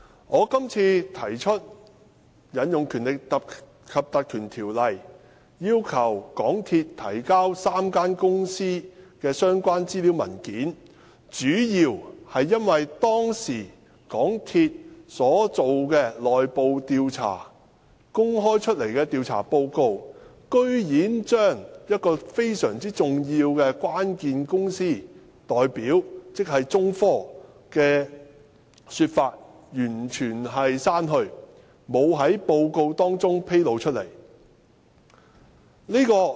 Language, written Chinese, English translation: Cantonese, 我今次提出引用《條例》，要求港鐵公司提交3間公司的相關資料和文件，主要是因為港鐵公司當時所進行的內部調查和公開的調查報告，居然將一個非常關鍵的公司代表——中科——的說法完全刪去，沒有在報告中披露。, On this occasion I propose to invoke the power of the Ordinance to request MTRCL to produce the relevant information and documents of the three companies mainly because the MTRCL - conducted internal investigation and the investigation report which is open to the public have completely omitted the statements made by a very critical company China Technology